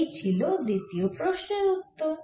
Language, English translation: Bengali, so this the answer for the second question answer